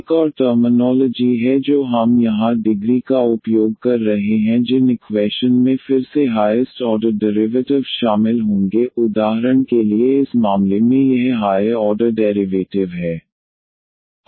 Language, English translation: Hindi, There is another terminology we will using here degree and degree here in these equations will be the degree of again the highest order derivatives involved, for instance in this case this is the higher order derivative